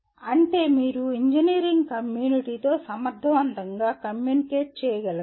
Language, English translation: Telugu, That is you should be able to communicate effective with engineering community